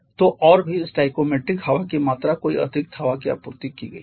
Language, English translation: Hindi, So, and also stoichiometric amount of air has been supplied no excess air